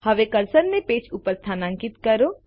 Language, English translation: Gujarati, Now move the cursor to the page